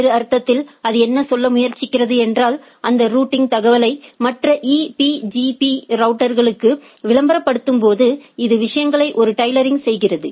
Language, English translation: Tamil, In other sense what it tries to say that, while advertising that routing information to the other EBGP routers, so what it does